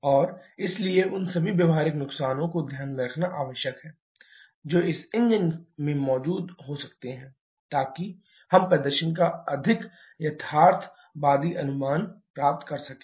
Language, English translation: Hindi, And therefore, it is required to take into consideration all the practical losses that can be present in the engine operation so that we can get a more realistic estimation of the performance